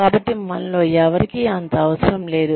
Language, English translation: Telugu, So, none of us are indispensable